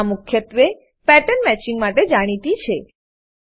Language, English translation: Gujarati, It is well known for pattern matching